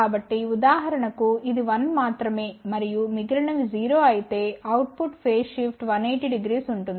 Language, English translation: Telugu, So, for example, if this is 1 only and rest are all 0 output will have 180 degree phase shift